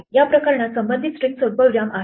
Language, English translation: Marathi, In this case a string in concerned is a comma